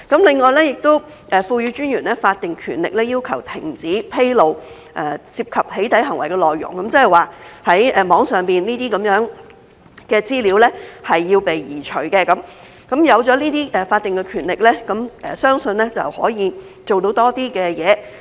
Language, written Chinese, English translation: Cantonese, 另外，也賦予私隱專員法定權力要求停止披露涉及"起底"行為的內容，即是在網上的資料要被移除，有了這些法定權力，相信可以做到多些事。, In addition the Commissioner is also given the statutory power to stop the disclosure of content involving doxxing behaviour . In other words the relevant data posted online must be removed . With these statutory powers I believe that more can be done